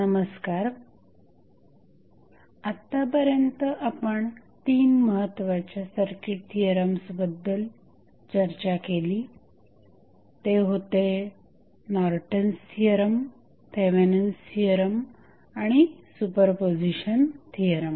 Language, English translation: Marathi, So, till now, we have discussed 3 important circuit theorems those were Norton's theorem, Thevenin's theorem and superposition theorem